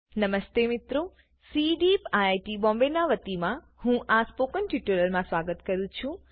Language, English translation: Gujarati, On behalf of CDEEP, IIT Bombay, I welcome you to this Spoken Tutorial